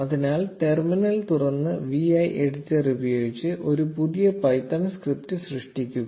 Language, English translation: Malayalam, So open the terminal and create a new python script using the vi editor